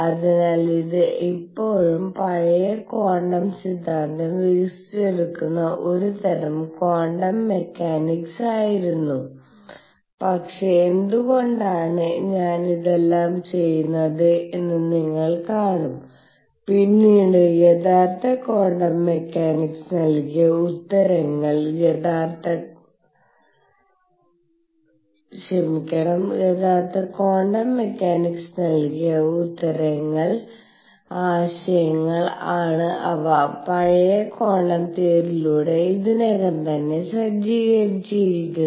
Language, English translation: Malayalam, So, this was a kind of quantum mechanics being developed still the old quantum theory, but why I am doing all this is what you will see is that the ideas that later the true quantum mechanics gave the answers that the true quantum mechanics gave was ideas were already setting in through older quantum theory